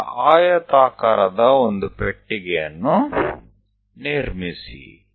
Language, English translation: Kannada, Then construct a box a rectangular box